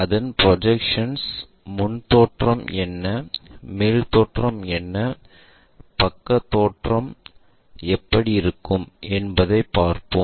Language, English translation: Tamil, Look at their projections like what is the front view, what is the top view, and how the side view really looks like